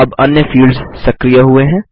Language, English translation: Hindi, The other fields now become active